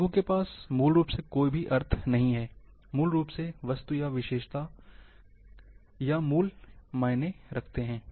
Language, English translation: Hindi, Colours do not have basically any meaning, what matters basically, the code or value, of the object or feature